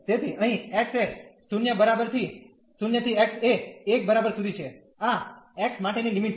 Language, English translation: Gujarati, So, here from x is equal to 0 to x is equal to 1, these are the limits for x